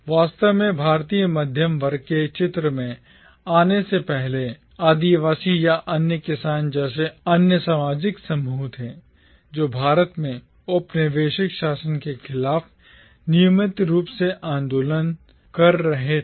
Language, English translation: Hindi, Indeed, much before the Indian middle class came into the picture there were other social groups like the tribals for instance or the peasants who were regularly agitating against the colonial rule in India